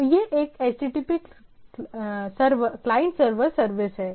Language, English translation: Hindi, So, it is a HTTP client server service